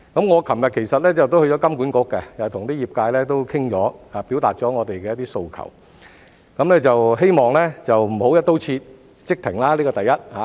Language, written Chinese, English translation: Cantonese, "我昨天其實亦到了金管局，與業界商討過，表達了我們的訴求，希望不要"一刀切"即停，這是第一點。, In fact I went to HKMA yesterday to discuss with the sector and express our demand that there should not be a sudden stop across the board . This is the first point